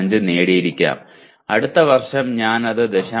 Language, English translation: Malayalam, 05 and next year I have improved it to 0